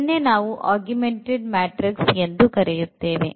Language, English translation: Kannada, So, this matrix we call as the augmented matrix